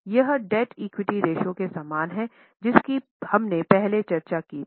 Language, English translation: Hindi, This is very similar to debt equity ratio which we discussed earlier